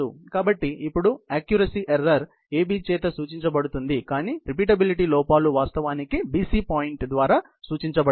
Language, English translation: Telugu, So, the accuracy error now, would therefore, be represented by AB, but the repeatability errors would actually be represented by the point BC ok